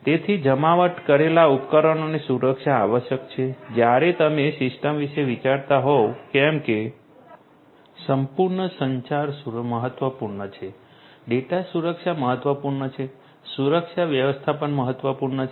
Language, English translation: Gujarati, So, security of the deployed devices is required when you are thinking about the system as a whole communication security is important data security is important security management is important right